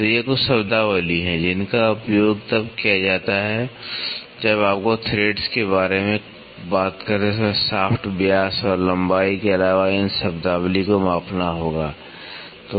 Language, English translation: Hindi, So, these are some of the terminologies, which are used when you have to measure these terminologies apart from the shaft diameter and the length when you talk about threads